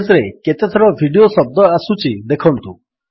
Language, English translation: Odia, Find how many times the word video appears in the page